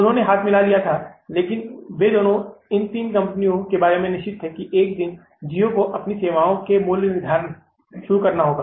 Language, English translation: Hindi, They had to join hands, but they were both these three companies were sure about that one day, geo will have to start pricing their services